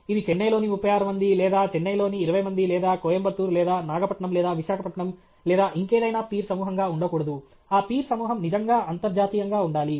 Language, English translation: Telugu, It should not be peer group only in Chennai 36 or Chennai 20 or in Coimbatore or Nagapattinam or Visakhapatnam or whatever; that peer group must be truly international